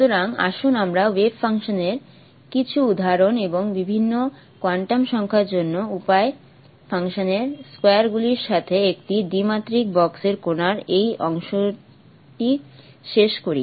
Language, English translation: Bengali, So let us conclude this part of the particle in a two dimensional box with some examples of the wave functions and the squares of the wave function for different quantum numbers